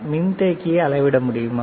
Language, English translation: Tamil, Can you measure the capacitor